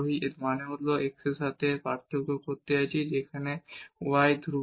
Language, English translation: Bengali, So, we have to take the derivative again with respect to x here treating y is constant